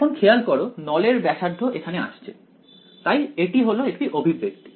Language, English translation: Bengali, So, you notice the radius of the cylinder is appearing ok, this is one expression